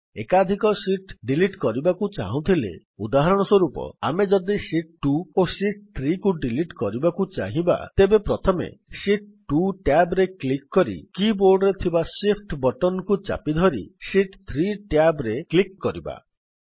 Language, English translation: Odia, In order to delete multiple sheets, for example, if we want to delete Sheet 2 and Sheet 3 then click on the Sheet 2 tab first and then holding the Shift button on the keyboard, click on the Sheet 3tab